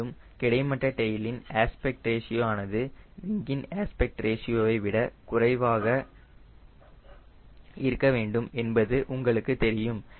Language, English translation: Tamil, and also in horizontal tail the aspect ratio of the tail should be less than aspect ratio of the wing